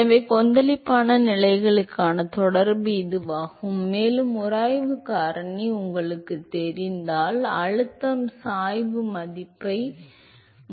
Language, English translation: Tamil, So, that is the correlation for turbulent conditions and if you know the friction factor you should be able to estimate the pressure gradient